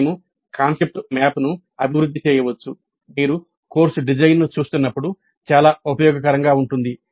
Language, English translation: Telugu, Then we can develop the concept map quite useful when you are looking at the course design